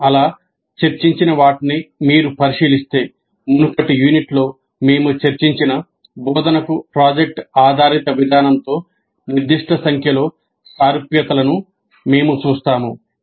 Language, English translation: Telugu, Now if you look at what we have discussed so far we see certain number of similarities with the project based approach to instruction which we discussed in the previous unit